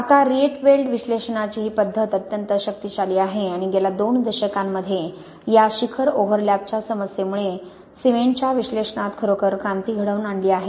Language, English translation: Marathi, Now this method of the Rietveld analysis is extremely powerful and really has made a revolution in the past two decades in the analysis of cements because of this problem of peak overlap